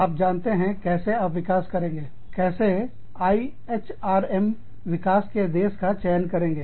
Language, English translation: Hindi, How do you develop, you know, development of IHRM, country selection